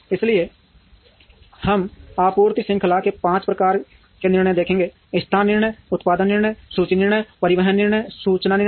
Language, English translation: Hindi, So, we will look at five types of decisions in a supply chain location decisions, production decisions, inventory decisions, transportation decisions and information decisions